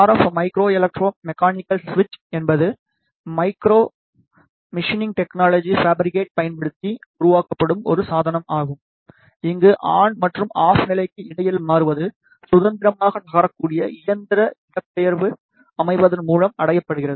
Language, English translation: Tamil, The RF micro electro mechanical switch is a switching device that is fabricated using micro machining technology, where the switching between the on and the off states is achieved by the mechanical displacement of a freely movable structure